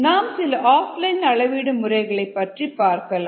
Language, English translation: Tamil, let us look at off line measurements